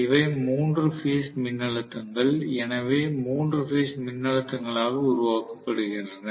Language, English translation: Tamil, These are the three phase voltages, so there are going to be three phase voltages that are generated